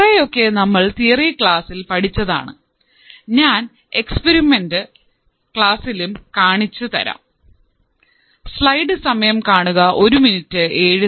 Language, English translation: Malayalam, And mostly, the things that were taught to you in the theory class, I will also show also as a part of the experiment classes